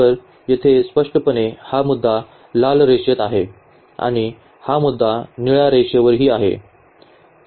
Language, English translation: Marathi, So, here clearly this point here lies on the red line and this point also lies on the blue line